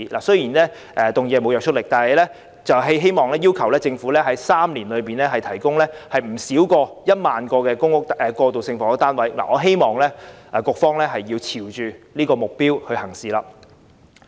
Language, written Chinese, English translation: Cantonese, 雖然議案沒有約束力，但我希望要求政府在3年內提供不少於1萬個過渡性房屋單位，希望政府會朝着這目標行事。, Although the motion has no binding effect I wish to request the Government to provide no less than 10 000 transitional housing units within three years . I hope the Government will act towards this direction